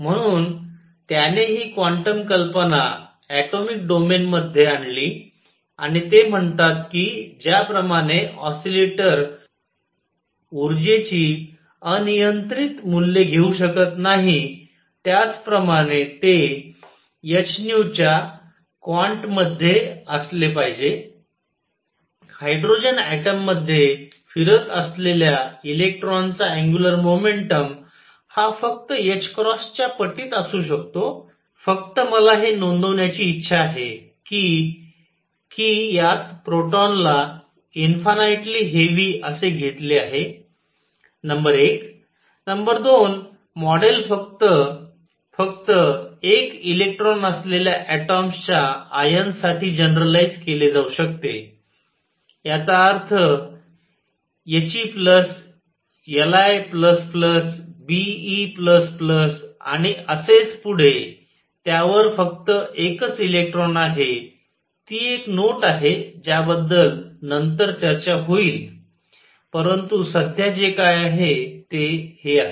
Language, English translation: Marathi, So, he brought this quantum idea into the atomic domain and he said just like an oscillator cannot take arbitrary values of energy, it has to be in the quant of h nu angular momentum of electron going around in hydrogen atom can be in multiples of h cross only, just I wish to note that in this a proton is taken to be infinitely heavy number 1